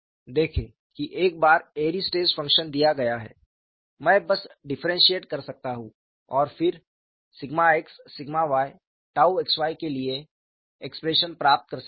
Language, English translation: Hindi, See once Airy's stress function is given, I could simply differentiate and then get the expression for sigma x, sigma y, tau xy